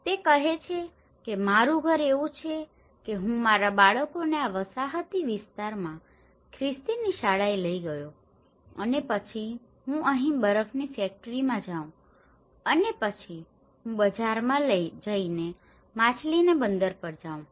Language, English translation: Gujarati, Then he says my house is like this I took my children to the school in the Christian this colonial area and then I go to the ice factory here, and then I go to the market and sell the fish I go to the harbour